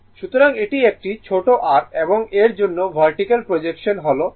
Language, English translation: Bengali, So, this is small r right and this for this , vertical projection is 39